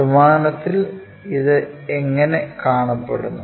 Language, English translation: Malayalam, How it looks like in three dimensional